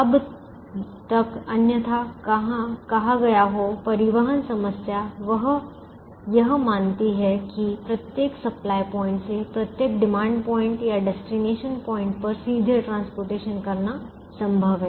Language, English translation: Hindi, unless otherwise stated, the transportation problem assumes that it is possible to transport from every supply point to every demand point or destination point directly